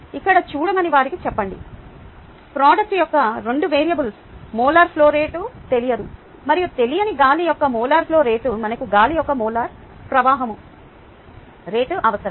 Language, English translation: Telugu, see, here there are two variables: molar flow rate of the product, which is unknown, and the molar flow rate of air, that is unknown